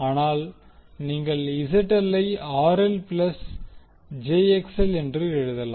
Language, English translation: Tamil, So, ZL you can write as RL plus jXL